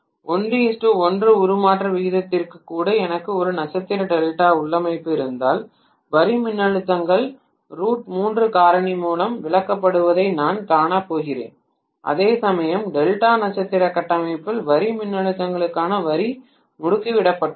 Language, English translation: Tamil, But if I have a star delta configuration even for 1 is to 1 transformation ratio I am going to see that the line voltages are stepped down by a factor of root 3, whereas in Delta star configuration the line to line voltages are stepped up